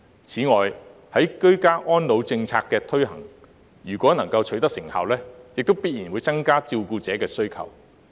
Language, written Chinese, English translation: Cantonese, 此外，居家安老政策的推行如果能夠取得成效，亦必然會增加對照顧者的需求。, Moreover if the Government is successful in promoting the ageing in place policy the demand for carers will definitely increase